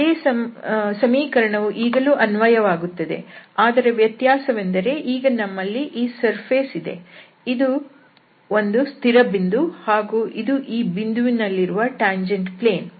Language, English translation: Kannada, So, this relation, there the same relation holds only now the difference is that we have this surface and we have fixed a point here and this is the tangent plane, this is the tangent plane here at that point